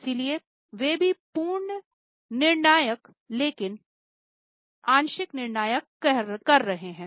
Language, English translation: Hindi, So they are also having though not full control but the partial control